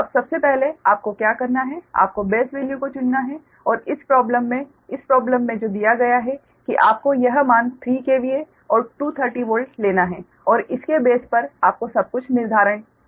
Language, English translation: Hindi, first, what you have to do is you have to choose base base values right, and in this problem, in this problem that is, given that you have to take this value, three k v a and two thirty volt, and based on that you have to determine everything right